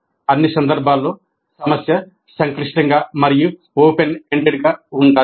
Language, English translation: Telugu, In all cases, the problem must be complex and open ended